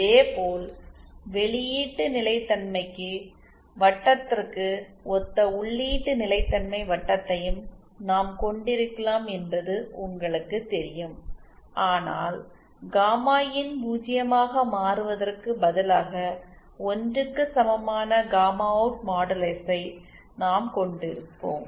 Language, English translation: Tamil, Similarly you know similarly we can also have the input stability circle which is analogous to the output stability circle, but instead of gamma IN becoming to zero we will have gamma out modulus equal to 1